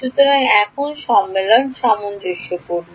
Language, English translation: Bengali, So, now, the convention is consistent